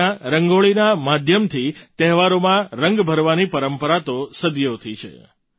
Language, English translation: Gujarati, For centuries, we have had a tradition of lending colours to festivals through Rangoli